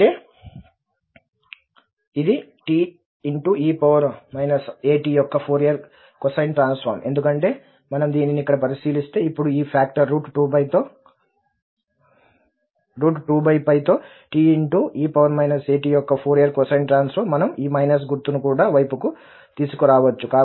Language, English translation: Telugu, That means the Fourier cosine transform of this, because if we take a look at this one here, now this is a Fourier cosine transform of t e power minus a t with this factor 2 over square root 2 pi, this minus sign we can bring to the right hand side